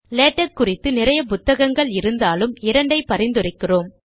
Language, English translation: Tamil, There are many books on Latex, we recommend two